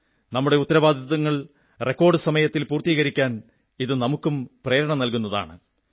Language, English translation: Malayalam, This also inspires us to accomplish our responsibilities within a record time